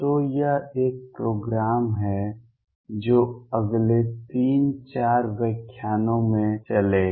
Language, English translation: Hindi, So, this is a program that will run over the next 3 4 lectures